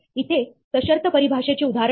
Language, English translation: Marathi, Here is an example of a conditional definition